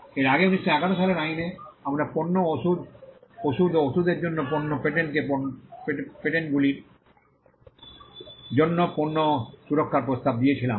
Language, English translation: Bengali, Earlier the 1911 Act had offered product protection for product patents what we called product patents for pharmaceutical and drugs, pharmaceuticals and drugs